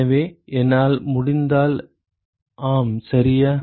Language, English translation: Tamil, So, if I, yes exactly